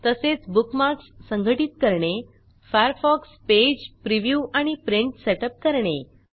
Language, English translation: Marathi, We will also learn, how to: Organize Bookmarks, Setup up the Firefox Page, Preview and Print it